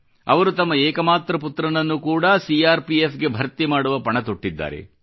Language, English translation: Kannada, She has vowed to send her only son to join the CRPF